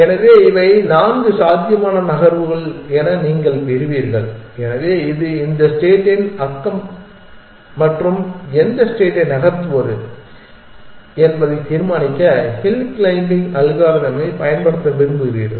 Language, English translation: Tamil, So, you will get these are the four possible moves, so this is the neighborhood of this state and you want to use hill climbing algorithm to decide which state to move